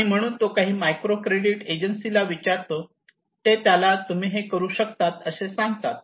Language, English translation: Marathi, So he called some microcredit agency, and they said okay yes you can